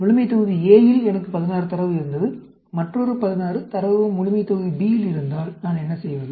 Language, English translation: Tamil, Suppose, if I have a data 16 in population A, and I have another data 16 in population B, what do I do